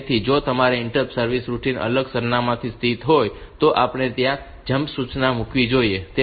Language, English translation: Gujarati, So, if your interrupt service routine is located from our different address we should put a jump instruction there